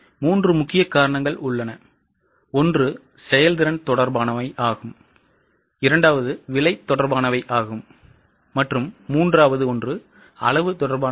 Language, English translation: Tamil, So, there are three major reasons, efficiency related, price related and volume related